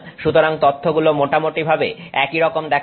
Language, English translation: Bengali, So you will see data that looks like that